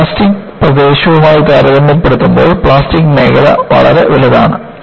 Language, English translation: Malayalam, A plastic region is, very large in comparison to elastic region